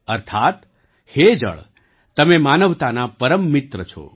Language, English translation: Gujarati, Meaning O water, you are the best friend of humanity